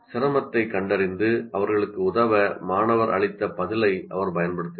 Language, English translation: Tamil, And she uses the answer given by the student to diagnose the difficulty and help them